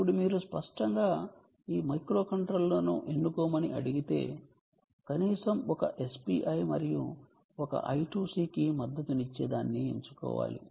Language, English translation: Telugu, now, if you are asked to choose this microcontroller, you obviously have to choose something that can support at least one s p i and one i two c